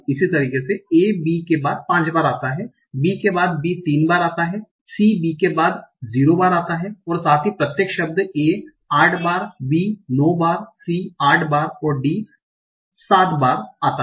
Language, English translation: Hindi, And also the individual words, A occurs 8 times, B occurs 8 times, B occurs 9 times, C occurs 8 times, D occurs 7 times